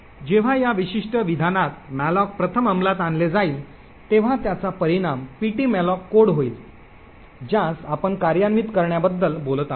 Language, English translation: Marathi, Now when malloc first gets executed in this particular statement over here it results in ptmalloc code that we have been talking about to get executed